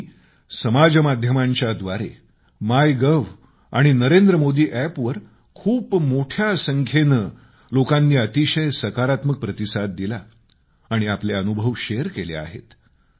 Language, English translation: Marathi, I am very glad that a large number of people gave positive responses on social media platform, MyGov and the Narendra Modi App and shared their experiences